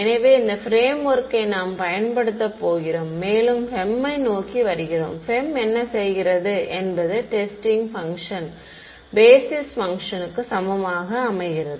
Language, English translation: Tamil, So, this is the same framework that we are going to use and coming more towards the FEM right; what FEM does is it sets the testing function to be equal to the basis function ok